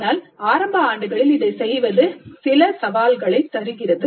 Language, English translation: Tamil, But doing this in earlier years does seem to pose certain challenges